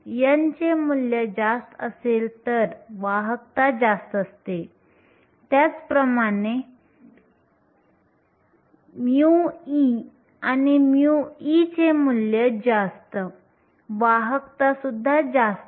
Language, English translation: Marathi, Higher the value of n higher is the conductivity similarly; higher the value of mu e and mu h, higher is the conductivity